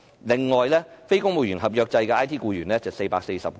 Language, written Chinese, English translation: Cantonese, 此外，非公務員合約制的 IT 僱員是440個。, Moreover the number of IT staff on non - civil service contract was 440